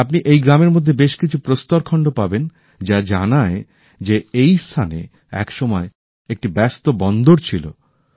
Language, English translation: Bengali, You will find such stones too in thisvillage which tell us that there must have been a busy harbour here in the past